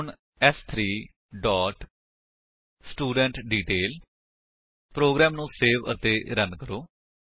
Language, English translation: Punjabi, Then s4 dot studentDetail Save and Run the program